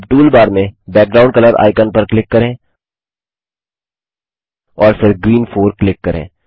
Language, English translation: Hindi, Now click on the Background Color icon in the toolbar and then click on Green 4